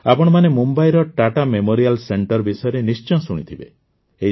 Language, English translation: Odia, All of you must have heard about the Tata Memorial center in Mumbai